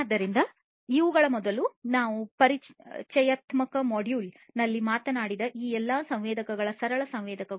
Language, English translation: Kannada, So, all these sensors that we talked about in the introductory module before these are simple sensors